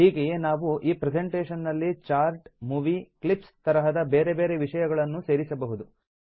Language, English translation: Kannada, In a similar manner we can also insert other objects like charts and movie clips into our presentation